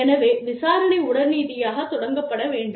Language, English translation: Tamil, So, investigation should start, immediately